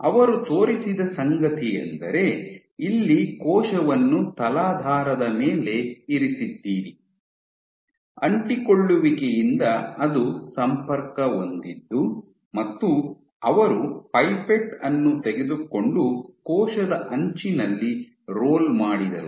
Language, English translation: Kannada, So, you have a cell here sitting on a substrate, connected by adhesions, and he took a pipette rolled on the cell edge